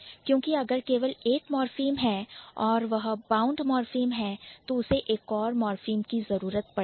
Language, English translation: Hindi, And if you, if that is the bound morphem, so it would eventually need another morphem to stand